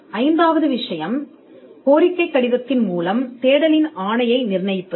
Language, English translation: Tamil, The fifth thing is to stipulate the mandate of the search through a request letter